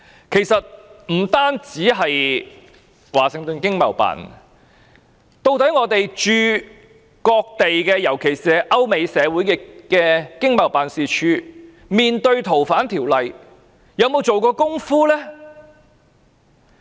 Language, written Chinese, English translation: Cantonese, 其實，不單是華盛頓經貿辦，究竟我們駐各地——特別是歐美社會的經貿辦，面對該條例修訂時有沒有做準備工夫呢？, Actually in additional to the Washington ETO have other ETOs especially those in European and American communities made preparation for the introduction of the legislative amendment?